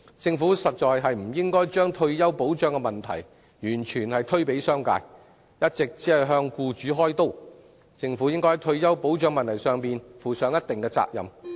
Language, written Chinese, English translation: Cantonese, 政府實在不應該把退休保障的責任完全推卸給商界，只顧向僱主開刀，而應該在退休保障問題上負上一定責任。, In fact the Government should not completely shirk the responsibility of retirement protection onto the business sector only fleecing the employers . Rather it should assume a considerable part of the responsibility for the retirement protection issue